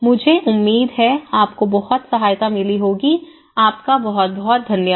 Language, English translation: Hindi, I hope, this helps thank you very much